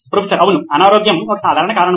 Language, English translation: Telugu, Yes, sickness is a common reason